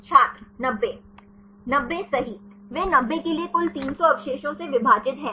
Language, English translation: Hindi, 90 right, they for 90 divided by total 300 residues